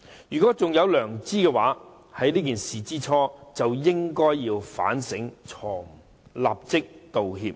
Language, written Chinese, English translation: Cantonese, 如果他們還有良知，在發生這件事之初就應該反省錯誤，立即道歉。, If they had conscience they should have reflected on their mistake and apologized immediately after this incident occurred